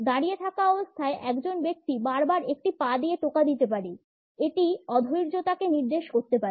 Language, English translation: Bengali, While standing a person may repeatedly tap a foot to indicate this impatience